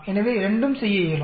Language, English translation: Tamil, So, both can be done